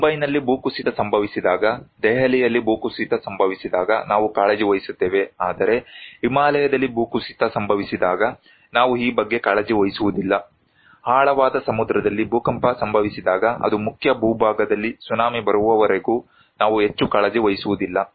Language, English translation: Kannada, When there is an landslide in Mumbai, landslide in Delhi we are concerned about but when there is an landslide in Himalaya, we are not concerned about this, when there is an earthquake in deep sea, we are not very much concerned unless and until the tsunami is coming on the mainland